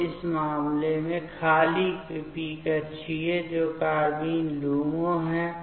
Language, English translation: Hindi, So, in this case, the empty p orbital that is the carbene LUMO